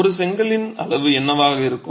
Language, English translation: Tamil, What would be the size of one brick